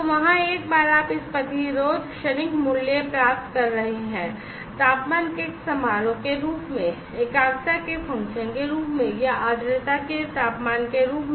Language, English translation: Hindi, So, there are there is a once you get this resistance transient value, as a function of temperature, as a function of concentration, or, as a temperature of humidity